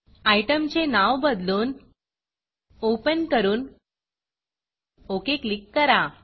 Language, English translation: Marathi, Rename the item to Open and click OK